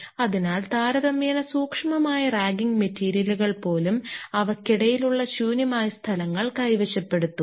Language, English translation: Malayalam, So, even the ragging material themselves, which are relatively finer they will occupy the wide spaces in between them